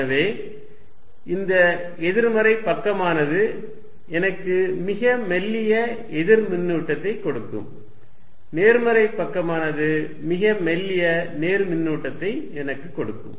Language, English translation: Tamil, So, that this negative side will give me a very thin slice of negative charge, positive side will give me a very thin slice of positive charge